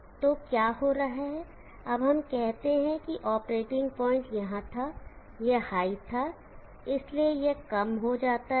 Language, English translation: Hindi, So what is happing, now let us say that the operating point was here, this was high, so this becomes low